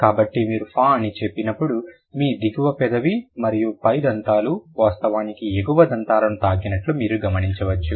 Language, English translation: Telugu, So, when you say fur, you can notice that the upper teeth, like your lower lip is actually, it touches the upper teeth